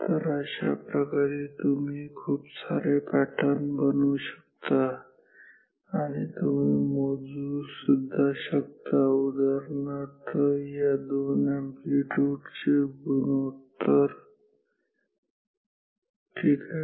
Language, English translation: Marathi, So, this way you can generate lots of different patterns and you can also measure for example, the ratio of the this two amplitudes ok